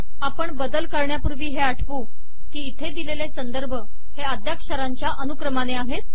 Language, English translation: Marathi, Before we make changes, let us recall that the references here are all in alphabetical order For example, B